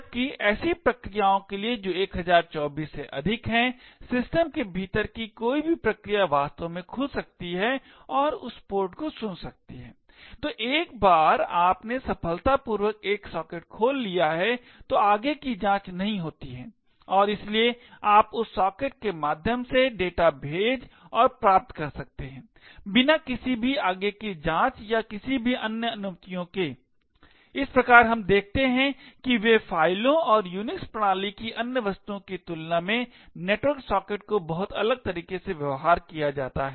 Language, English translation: Hindi, While for processes which are greater than 1024, any process within the system could actually open and listen to that port, so once you have opened a socket successfully are no further checks which are done and therefore you can send and receive data through that socket without any further checks or any further permissions, thus we see they are compared to files and other objects in the Unix system, network sockets are treated in a very different way